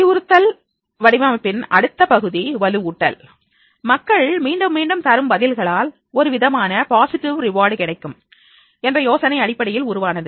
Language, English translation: Tamil, Next part in the instruction design is that is a reinforcement based on the idea that people repeat responses that give them some type of positive reward